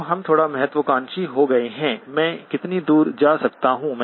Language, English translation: Hindi, Now we get a little bit ambitious, how far can I go